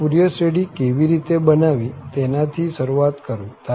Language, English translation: Gujarati, So, let me just begin with how to construct this Fourier series